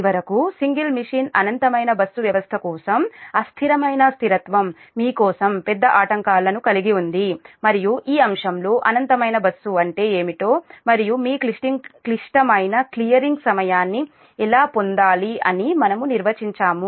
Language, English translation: Telugu, and finally transient stability for single machine, infinite bus system, that is, for your, for large disturbances, and we have also defined in this topic that what is infinite bus and we have tried to obtain that, your critical clearing time